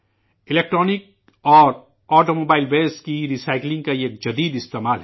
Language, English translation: Urdu, This is an innovative experiment with Electronic and Automobile Waste Recycling